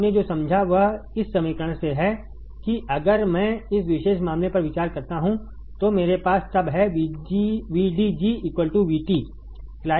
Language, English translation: Hindi, What you understood is that from this equation if I consider this particular case, then I have then I have VDG equals to V T